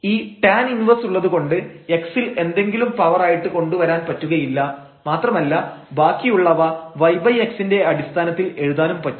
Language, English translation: Malayalam, Because of this tan inverse we cannot bring x power something and the rest we cannot write in terms of y over x